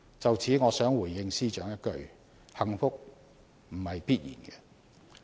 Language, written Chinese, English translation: Cantonese, 就此，我想回應司長一句，幸福不是必然。, In this connection I wish to tell the Secretary that such fortune will not be bestowed on us naturally